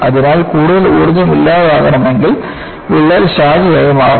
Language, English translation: Malayalam, So, if more energy has to be dissipated, the crack has to branch out